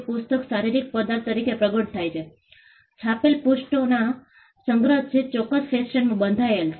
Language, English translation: Gujarati, The book also manifests as a physical object, a collection of printed pages which is bounded in a particular fashion